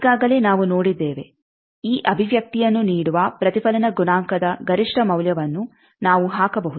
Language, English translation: Kannada, Already, we have seen that this also that we can put a maximum value of the reflection coefficient that gives us this expression